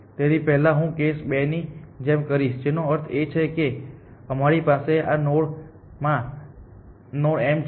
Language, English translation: Gujarati, So, first I will say do like in case 2, which means that this node m we have found a better path to this node m